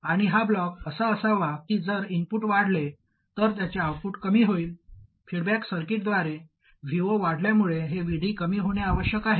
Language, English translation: Marathi, And this block should be such that its output reduces if the input increases that is this VD must reduce as V0 increases through the feedback circuit